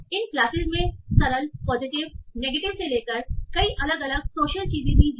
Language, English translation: Hindi, And these classes range from simple positive negative to many different social things also